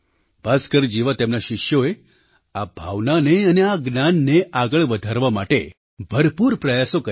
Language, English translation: Gujarati, His disciples like Bhaskara, strived hard to further this spirit of inquiry and knowledge